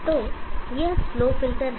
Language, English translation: Hindi, So this is the slow filter